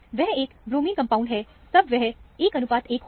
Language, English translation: Hindi, If it is a bromine compound, it will be 1 is to 1 ratio